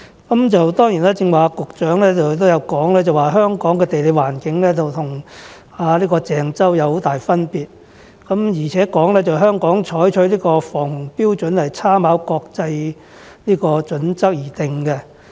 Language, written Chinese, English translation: Cantonese, 當然，局長剛才也有提到，香港的地理環境與鄭州有很大分別，而且香港採取的防洪標準是參考國際準則而制訂。, Of course as the Secretary has just mentioned there is a considerable difference in geographical environment between Hong Kong and Zhengzhou and the flood protection standards in Hong Kong are formulated with reference to international standards